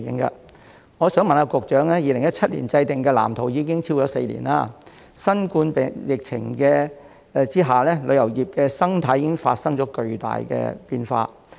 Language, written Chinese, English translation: Cantonese, 《發展藍圖》自2017年制訂至今已超過4年，在新冠疫情下，旅遊業的生態亦已發生巨大變化。, It has been more than four years since the Blueprint was formulated in 2017 and the ecology of the tourism industry has also undergone tremendous changes under the COVID - 19 pandemic